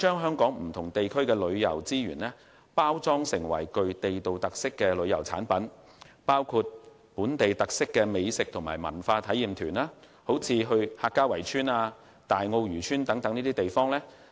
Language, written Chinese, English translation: Cantonese, 香港不同地區的旅遊資源，應包裝成具地道特色的旅遊產品，以推廣具本地特色的美食和文化體驗團，如客家圍村、大澳漁村等便是好例子。, The tourism resources in various districts of Hong Kong should be packaged as tourism products with local characteristics to promote gourmet and cultural experience tours . For example the Hakka walled villages and fishing villages in Tai O etc . are good examples